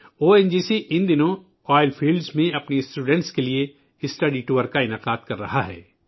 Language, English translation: Urdu, These days, ONGC is organizing study tours to oil fields for our students